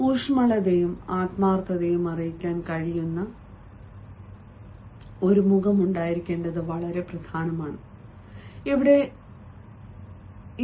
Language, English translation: Malayalam, here you can have a look how it is important, ah, to have a face which can convey warmth and sincerity